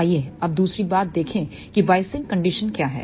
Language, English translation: Hindi, Let us see the other thing now the biasing condition